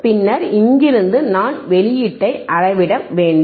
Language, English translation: Tamil, And then I hadve to measure the output you from here